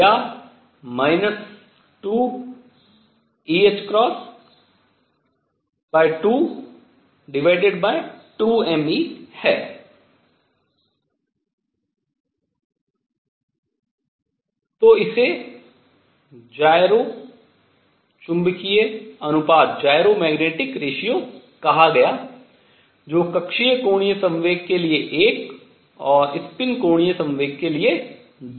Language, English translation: Hindi, So, this was called the gyro magnetic ratio which is one for orbital angular momentum and 2 for a spin angular momentum